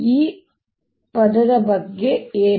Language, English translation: Kannada, what about this term